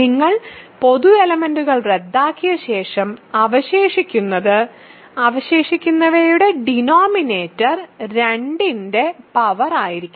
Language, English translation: Malayalam, So, after you cancel the common factors, what remains; denominator of what remains should be a power of 2